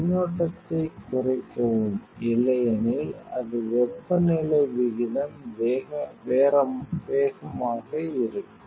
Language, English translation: Tamil, Decrease the current otherwise, it will your rate of temperature will faster